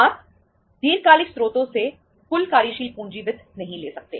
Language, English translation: Hindi, You cannot afford to have total working capital finance from long term sources